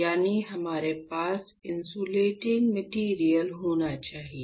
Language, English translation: Hindi, So, that is why we have to have insulating material